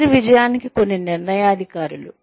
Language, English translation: Telugu, Some determinants of career success